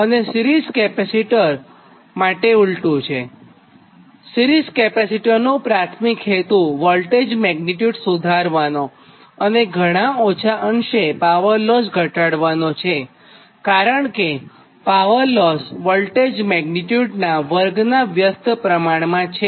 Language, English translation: Gujarati, also, and in the case of series capacitor, just reverse, series capacitors, primary objective is to improve the voltage magnitude and, though not much, it reduce the power losses, because power loss is inversely proportional to the square of the voltage magnitude